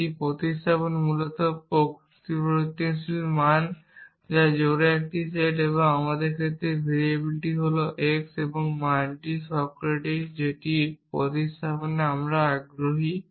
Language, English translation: Bengali, A substitution is basically a set of variable value pairs and in our case, the variable is x and the value that is Socratic that is the substitution we are interested in